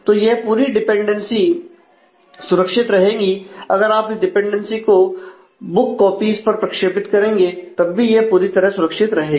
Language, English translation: Hindi, So, the whole dependency is preserved if you project this dependency on the book copies it will also be fully preserved